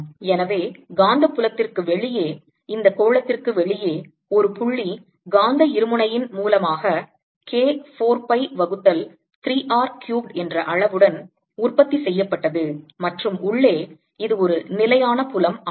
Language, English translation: Tamil, so outside the magnetic field, outside this sphere is like that produced by a point magnetic dipole with magnitude k four pi by three r cubed, and inside it's a constant field